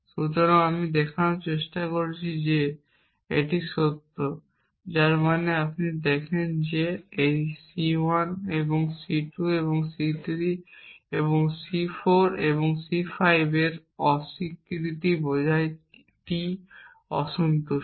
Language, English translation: Bengali, So, I am trying to show that this is true which means you show that negation of this C 1 and C 2 and C 3 and C 4 and C 5 implies T is unsatisfiable